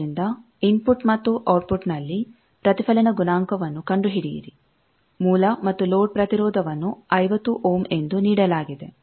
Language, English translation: Kannada, So, find out the reflection coefficient and both at input and output source and load impedance is given to be 50 ohms